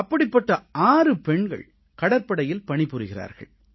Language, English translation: Tamil, Six of these young daughters are in the Navy